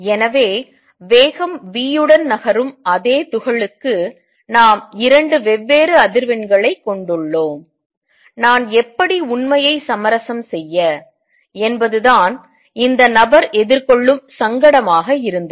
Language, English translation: Tamil, So, for the same particle which is moving with speed v, we have 2 different frequencies, how do I reconcile the true, that was the dilemma that this person was facing